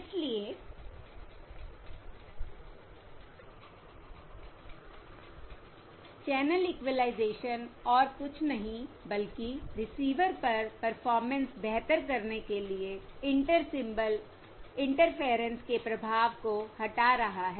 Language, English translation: Hindi, So Channel Equalisation is nothing but removing the effect of Inter Symbol Interference to improve the performance at the receiver